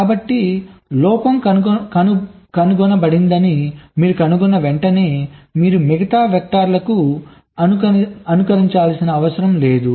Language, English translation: Telugu, ok, so as soon as you find that a fault is getting detected, you need not simulate to the remaining vectors